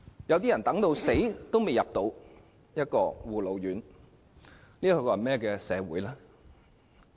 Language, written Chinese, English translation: Cantonese, 有些人等到去世也未能等到護老院宿位，這是甚麼社會？, Some of the elderly died while waiting for a place in care and attention homes . What a society!